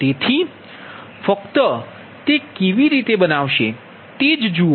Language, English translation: Gujarati, so just see how will make it so